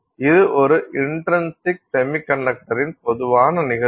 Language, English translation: Tamil, So, this is a general case of an intrinsic semiconductor